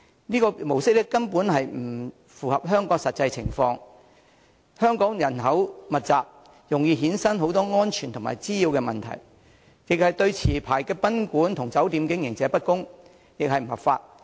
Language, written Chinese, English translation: Cantonese, 這種模式根本不符合香港的實際情況，原因是香港人口密集，這種模式容易衍生很多安全和滋擾問題，亦對持牌賓館和酒店經營者不公，更不合法。, This model is simply out of keeping with the actual situation in Hong Kong because it can easily cause many safety and nuisance problems in our densely populated city and is unfair to operators of licensed guesthouses and hotels not to mention that it is illegal